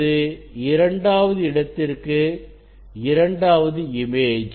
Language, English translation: Tamil, this is the 2 image for second position